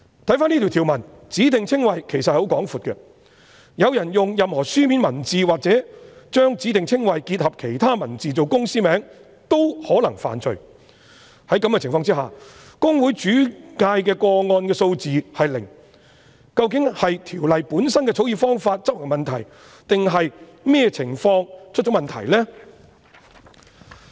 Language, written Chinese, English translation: Cantonese, 根據這項條文，"指定稱謂"涵義其實十分廣闊，有人用任何書面文字或將指定稱謂結合其他文字來作為公司名稱均可能犯罪，在這種情況下，公會轉介的個案數字是零，究竟是《條例》本身的草擬方法有問題，或是執行的問題，或是哪裏出現問題？, According to this provision the scope of specified descriptions is actually very broad . Anyone who uses any written words or combine a specified description with other words to form the name of a company may be guilty of an offence . Under the circumstances HKICPA has still made no referrals at all